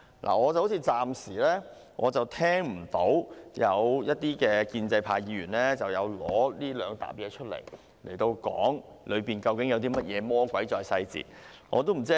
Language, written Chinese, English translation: Cantonese, 我暫時沒聽到有建制派議員就這兩疊文件發言，討論究竟有甚麼魔鬼在細節當中。, So far I have not heard any pro - establishment Member speak on these two sets of documents and discuss what devil is exactly in the details